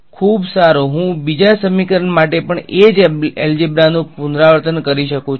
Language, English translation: Gujarati, Very good I can repeat the same algebra for the second equation also right